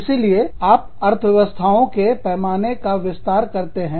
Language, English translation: Hindi, So, you expand, the economies of scale